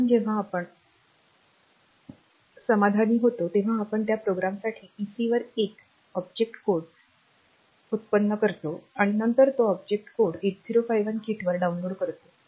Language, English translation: Marathi, So, when we are satisfied we generate the object code for that program on the pc and then that object code is downloaded onto the 8051 kit and when we are doing this